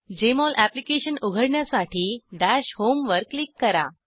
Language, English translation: Marathi, To open the Jmol Application, click on Dash home